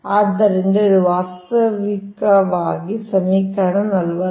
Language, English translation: Kannada, so this is actually equation forty five